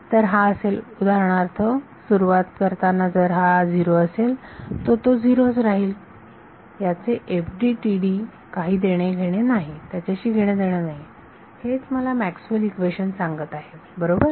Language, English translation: Marathi, So, if it for example, if it is 0 to begin with it will continue to be 0, this has nothing to do with FDTD, this what Maxwell’s equation that telling me right